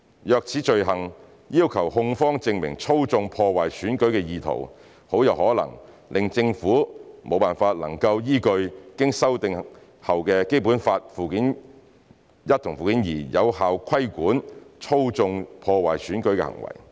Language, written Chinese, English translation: Cantonese, 若此罪行要求控方證明"操縱、破壞選舉"的意圖，很有可能令政府不能依據經修訂的《基本法》附件一和附件二，有效規管"操縱、破壞選舉"的行為。, If this offence requires the prosecution to prove an intent to manipulate and undermine the election it is likely to indirectly prevent the Government from effectively regulating electoral activities in accordance with the amended Annex I and Annex II to the Basic Law